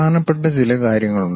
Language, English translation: Malayalam, There are important points